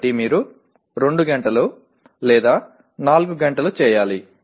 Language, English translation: Telugu, So you have to do it for 2 hours or 4 hours